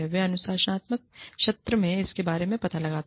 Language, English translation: Hindi, They find out, about it, in the disciplinary session